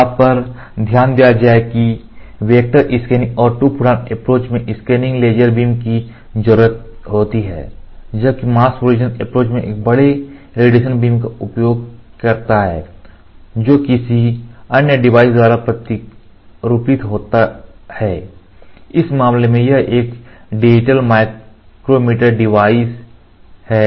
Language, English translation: Hindi, Noted that in the vector scan and the Two photon approach, scanning laser beam are needed, while the mask projection approach utilizes a large radiation beam that is patterned by another device, in this case it is a digital micromirror device